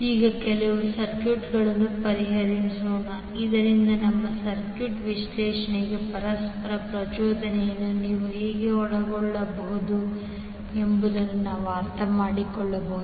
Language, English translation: Kannada, Now let solve few of the circuits so that we can understand how you can involve the mutual inductance in our circuit analyses